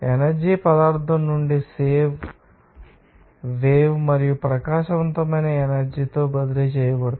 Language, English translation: Telugu, The energy is transferred from the substance in a wave and radiant energy